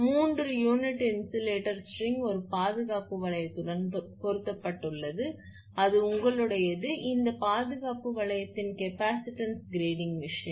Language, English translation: Tamil, A three unit insulator string is fitted with a guard ring that is yours that capacitance grading thing right this guard ring